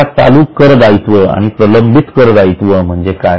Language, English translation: Marathi, Now, what is a current tax and what is a deferred tax